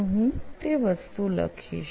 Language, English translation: Gujarati, So I write that thing